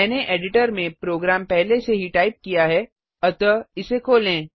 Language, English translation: Hindi, Let us move on to our example I have already typed the program on the editor so let me open it